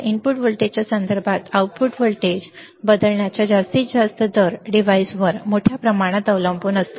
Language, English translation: Marathi, Maximum rate of change of output voltage with respect to the input voltage, depends greatly on the device